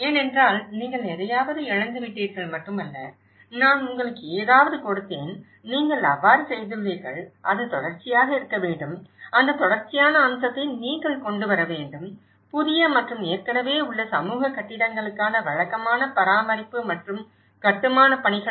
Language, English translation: Tamil, Because it is not just you lost something, I gave you something and you are done so, it has to be continuity, you have to bring that continuity aspect in it, a regular care and construction work for new and existing community buildings